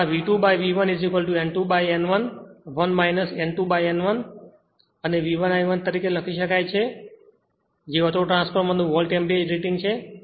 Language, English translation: Gujarati, Or you can write V 2 by V 1 is equal to N 2 by N 1 1 minus N 2 upon N 1 and V 1 I 1 that is Volt ampere rating of the autotransformer